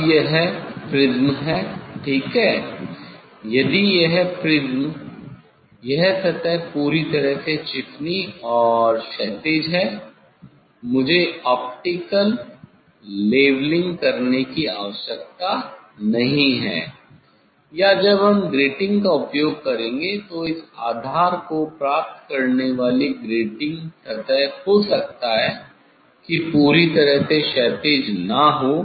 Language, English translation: Hindi, Now, this is the prism ok, if this prism, this surface is perfectly, smooth and horizontal so then I do not need to do the optical leveling or when we will use the grating so grating surface getting this base may not be perfectly horizontal